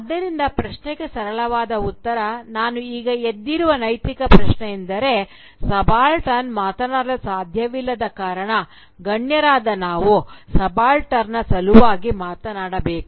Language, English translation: Kannada, So, a simplistic answer to the question that ethical question that I had raised just now is that since the subaltern cannot speak, we, who are the elites, should speak for the subaltern